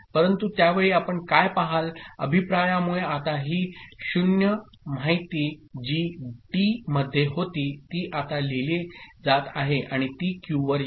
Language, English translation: Marathi, But at that time what you see, because of the feedback, this 0 information that was in T now is getting written and it comes to Q ok